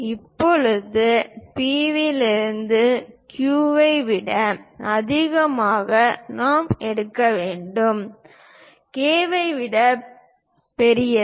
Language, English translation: Tamil, Now, from P; a distance I have to pick greater than Q, greater than K